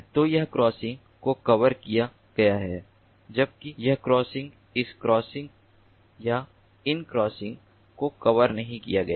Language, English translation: Hindi, so this crossing is covered, whereas this crossing, this crossing or these crossing, these are not covered